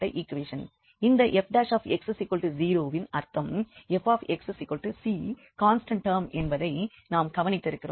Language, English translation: Tamil, And we observed that this F prime x is 0 meaning this Fx is c the constant term